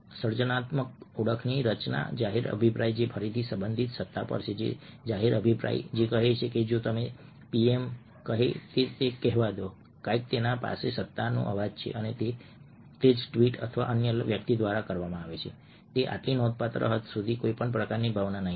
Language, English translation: Gujarati, authority: public opinion: who says, let say, if the pm say something that has the voice of authority and the same tweets created by somebody else would not kind of spirit to such a significant extent